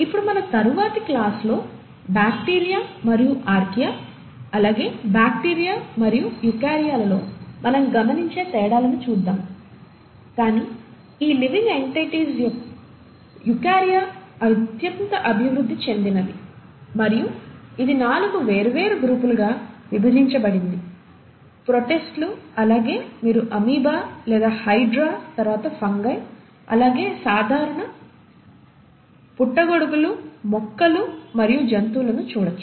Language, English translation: Telugu, Now we’ll come to the differences which we observe in bacteria and archaea vis à vis eukarya in our next class, but eukarya is the most evolved of these living entities, and it itself is divided into four different groups; the protists, this is where you’ll come across an amoeba, or the hydra, then the fungi, where you come across your regular mushrooms, the plants and the animals